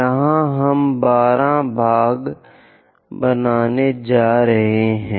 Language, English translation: Hindi, Here we are going to make 12 parts